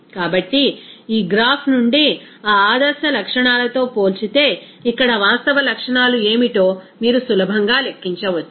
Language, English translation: Telugu, So, from this graph, you can easily calculate what should be that factor here real properties compared to that ideal properties